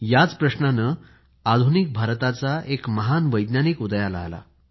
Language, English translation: Marathi, The same question gave rise to a great scientist of modern India